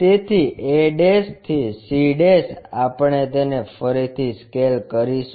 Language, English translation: Gujarati, So, that a' to c' we will rescale it